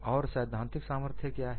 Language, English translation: Hindi, And what is the theoretical strength